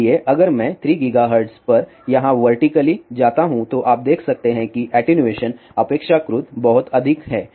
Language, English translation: Hindi, So, if I go vertically up here at 3 gigahertz you can see that the attenuation is relatively very high